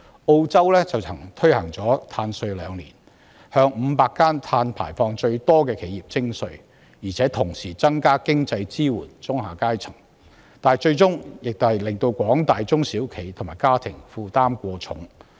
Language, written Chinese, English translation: Cantonese, 澳洲曾推行碳稅兩年，向500間碳排放量最高的企業徵稅，同時增加對中下階層的經濟支援，但最終仍導致廣大中小企和家庭負擔過重。, Australia implemented a carbon tax for two years . It collected carbon tax from 500 enterprises with the highest carbon emissions and enhanced financial assistance to the middle and lower classes but ultimately small and medium enterprises and households were overburdened